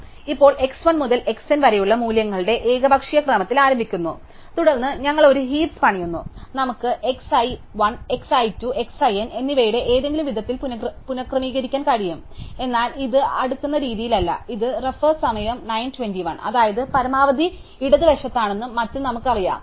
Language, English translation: Malayalam, So, we now start with some arbitrary sequence of values, x 1 to x n, then we build a heap and we possibly get reordered in some way of x i 1, x i 2, x i n, but this is not in sorted way, this is heap order, that is, we know, that the maximum is at the left and so on